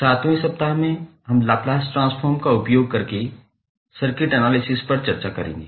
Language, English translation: Hindi, 7th week we will devote on circuit analysis using Laplace transform